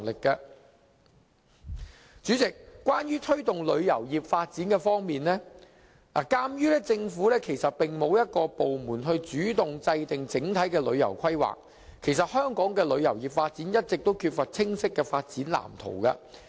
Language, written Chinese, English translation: Cantonese, 代理主席，關於推動旅遊業發展方面，鑒於政府沒有一個部門主動制訂整體旅遊規劃，香港的旅遊業發展一直缺乏清晰的發展籃圖。, Deputy President in the case of fostering the development of the tourism industry I think Hong Kongs tourism industry is ripped of a clear development blueprint all along due to the absence of an individual government department tasked for the proactive formulation of overall tourism planning